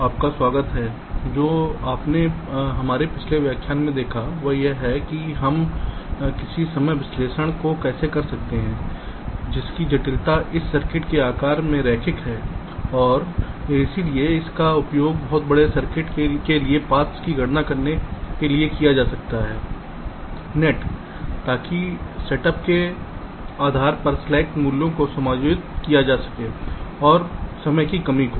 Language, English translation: Hindi, ah, what you have seen in our previous lectures is that how we can carry out some timing analysis, the complexity of which is linear in the size of this circuit and hence can be used for very large circuits, to enumerate the paths, the nets, so as to adjust the slack values depending on the set up and whole time constrains